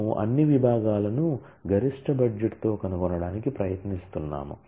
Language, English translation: Telugu, we are trying to find all departments with maximum budget